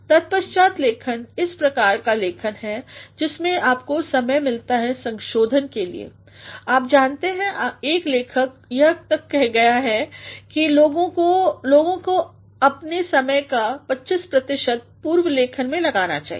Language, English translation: Hindi, The rewriting is a sort of writing where you get time to revise you know one writer has gone to the extent of saying that people should spend 25 percent of their time in pre writing